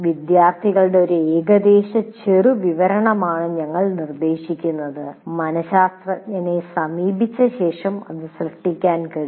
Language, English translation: Malayalam, So what we suggest is an approximate profile of the students, this can be created after consulting a psychologist